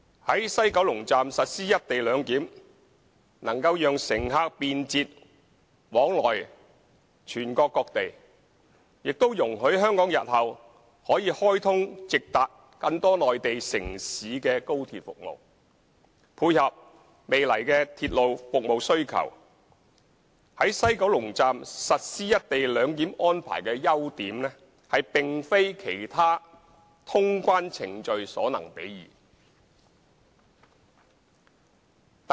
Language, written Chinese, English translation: Cantonese, 在西九龍站實施"一地兩檢"能夠讓乘客便捷往來全國各地，也容許香港日後可開通直達更多內地城市的高鐵服務，配合未來的鐵路服務需求，在西九龍站實施"一地兩檢"安排的優點，並非其他通關程序所能比擬的。, Implementing the co - location arrangement at the West Kowloon Station can provide passengers with convenient and speedy access to various places of the country and enable Hong Kong to meet future demand for rail services by launching high - speed rail services for direct access to more Mainland cities in future . Implementing the co - location arrangement at the West Kowloon Station can bring about incomparable advantages over other clearance procedures